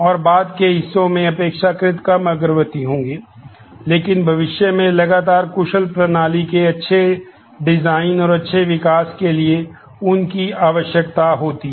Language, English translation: Hindi, And in the later parts will be relatively little advanced, but they are required for good design and good development of consistent efficient system in future